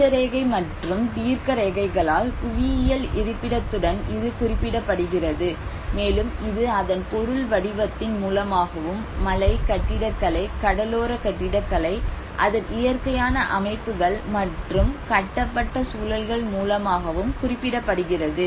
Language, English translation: Tamil, Which is normally referred with a geographical location by the Latitude and longitude, and it also reflects through its material form and which is a physical features, whether is a hill architecture, whether it is the coastal architecture, whether it is through its natural settings and the built environments